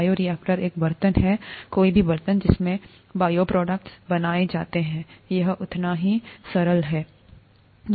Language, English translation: Hindi, Bioreactor is a vessel, any vessel, in which bioproducts are made, it is as simple as that